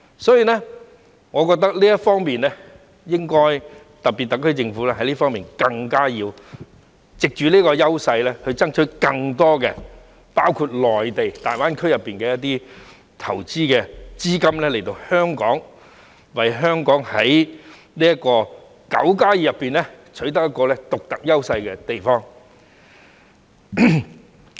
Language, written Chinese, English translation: Cantonese, 因此，我認為特區政府應藉着這方面優勢，爭取更多——包括內地大灣區——的投資資金來港，為香港在"九加二"中取得獨特的優勢。, So I think the SAR Government should take advantage of this to strive to attract more investments ton Hong Kong from places like GBA in the Mainland so that Hong Kong can have a unique advantage in the nine plus two cities